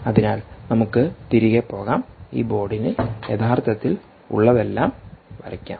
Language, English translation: Malayalam, lets go back and look at this board and lets actually look back at this system